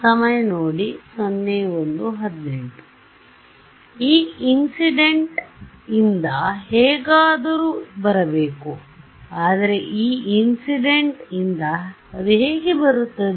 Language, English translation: Kannada, E incident it has to come somehow from E incident, but how will it come from E incident